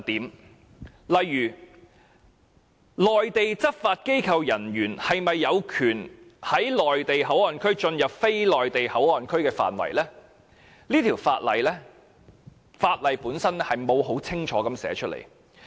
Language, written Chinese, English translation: Cantonese, 舉例而言，關於內地執法機構的人員是否有權從內地口岸區進入非內地口岸區範圍的問題，《條例草案》並沒有清楚說明。, For example on the question of whether Mainland law enforcement officers have the authority to enter the non - port areas from MPA this is not clearly provided in the Bill